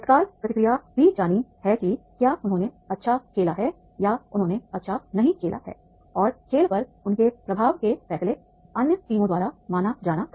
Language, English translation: Hindi, Immediate feedback is to be given whether they played well or they have not played well and decisions were to be perceived by the other teams and then impact on the game